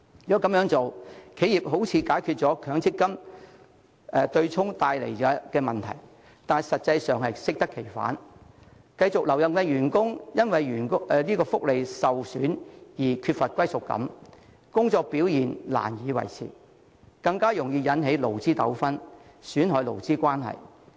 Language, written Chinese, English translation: Cantonese, 這樣，企業好像能解決取消強積金對沖帶來的問題，但實際上會適得其反，繼續留任的員工會因福利受損而缺乏歸屬感，工作表現難以維持，更容易引起勞資糾紛，損害勞資關係。, In this way it seems the enterprise is able to resolve the problem brought by the abolition of the MPF offsetting arrangement but in reality it will have counter - effects . Employees who remain in their jobs will lack a sense of belonging because their welfare has been compromised and it will be difficult for them to maintain good performance . Labour disputes will also be aroused easily injuring the employer - employee relationship